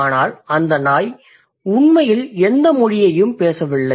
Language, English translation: Tamil, But that doesn't mean that the dog is actually speaking in any language